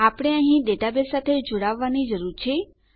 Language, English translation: Gujarati, We need to connect to our database